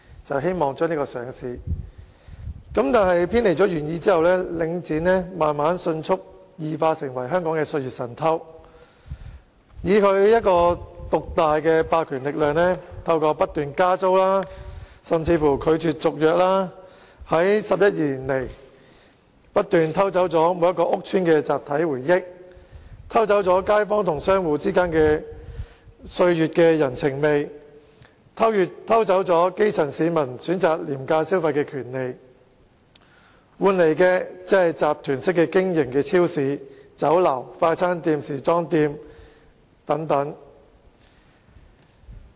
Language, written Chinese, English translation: Cantonese, 然而，偏離了原意之後，領展慢慢迅速異化成為香港的"歲月神偷"，以其獨大的霸權力量，透過不斷加租，甚至拒絕續約 ，11 年來不斷偷走每個屋邨的集體回憶、街坊與商戶之間經年月累積的人情味、基層市民選擇廉價消費的權利，換來的只是集團式經營的超市、酒樓、快餐店、時裝店等。, After deviating from its original purpose however Link REIT has gradually experienced a morbid change and turned into a thief in no time . Given its dominance and through its repeated attempts to increase rents and even refusals to renew tenancy agreements Link REIT has over the past 11 years stolen the collective memories of each and every public housing estate the human touch developed among kaifongs and shop operators over the years and the right of the grass roots to choose inexpensive spending . Instead only supermarkets restaurants fast - food shops and boutiques operated by groups can now be found